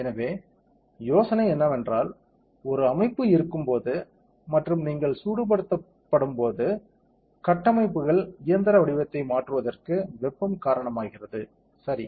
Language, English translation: Tamil, So, the idea is that when there is a structure and when you heated that heating causes the structures mechanical shape to change, ok